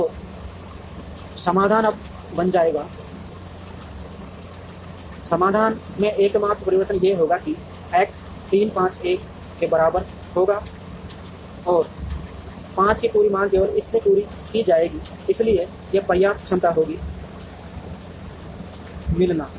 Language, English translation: Hindi, So, the solution would now become, the only change in the solution would be that, X 3 5 will be equal to 1 and the entire demand of 5 will be met only from this, so there will be, so this will have enough capacity to meet